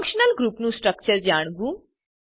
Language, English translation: Gujarati, * Know the structure of functional group